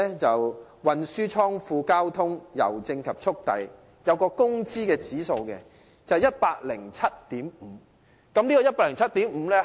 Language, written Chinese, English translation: Cantonese, 就此而言，運輸、倉庫、郵政及速遞服務業的工資指數為 107.5。, In this regard there is a wage index of 107.5 for the transportation storage postal and courier services sector